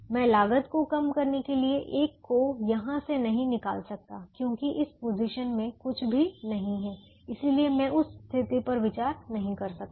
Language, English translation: Hindi, i can't take away one from this to decrease the cost because there is nothing in that position